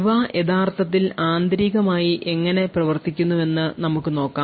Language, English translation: Malayalam, So, let us see how these things actually work internally